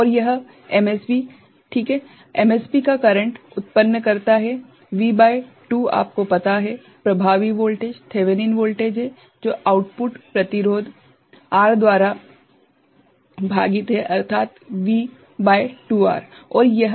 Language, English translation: Hindi, And, this MSB right the MSB produces a current, V by 2 is its you know, the effective voltage, Thevenin voltage and divided by the output resistance which is R